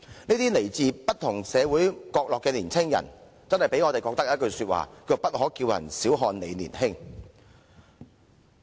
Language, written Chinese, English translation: Cantonese, 這些來自不同社會角落的青年人，令我們不禁說一句"不可叫人小看你年輕"。, Looking at these young people from different corners of society we cannot help but say dont let anyone look down on you because you are young